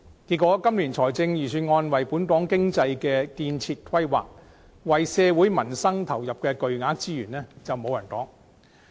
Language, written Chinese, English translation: Cantonese, 結果，今年的預算案為本港經濟作出的建設規劃，以及為社會民生投入的巨額資源卻無人提及。, As a result the development planning for Hong Kong economy in the Budget and the huge amount of resources invested in peoples livelihood were given no attention whatsoever